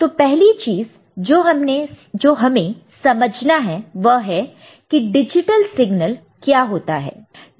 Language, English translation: Hindi, So, the first thing that you need to know is that what is a digital signal